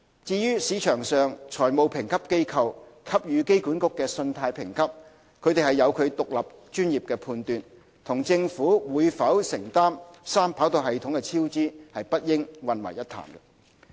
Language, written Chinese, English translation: Cantonese, 至於市場上財務評級機構給予機管局的信貸評級，有其獨立專業判斷，與政府會否承擔三跑道系統的超支不應混為一談。, As regards the credit rating of AA accorded by financial rating agencies in the market this is based on their independent professional judgment which should not be confused with whether or not the Government will bear the cost overrun of the 3RS project